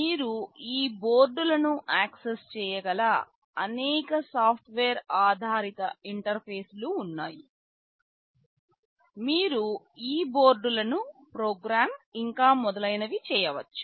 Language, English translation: Telugu, There are several software based interfaces through which you can access these boards, you can program these boards, and so on